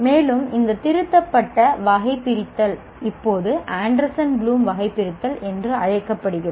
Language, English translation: Tamil, And this revised taxonomy is now known as Anderson Bloom taxonomy